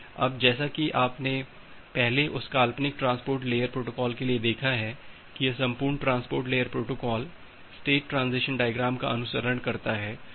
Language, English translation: Hindi, Now as you have looked earlier for that hypothetical transport layer protocol that these entire transport layer protocol follows a state transition diagram